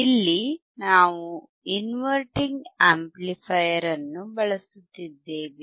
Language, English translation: Kannada, Here we are using inverting amplifier